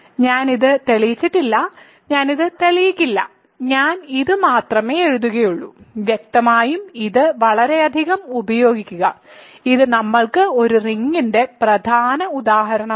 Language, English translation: Malayalam, So, I have not proved this, I will not prove this; I will only write this and we will; obviously, use this a lot this is an important example of a ring for us